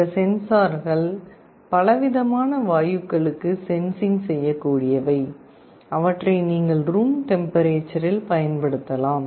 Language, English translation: Tamil, These sensors are sensitive to a range of gases and you can use them in room temperature